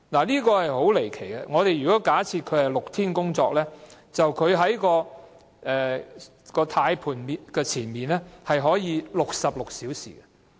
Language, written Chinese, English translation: Cantonese, 這是很離奇的，假設車長是6天工作，那麼他便可以在駕駛盤前66小時。, This is most bizarre . Assuming a bus captain works a six - day week and it means that he can sit in front of the steering wheel for 66 hours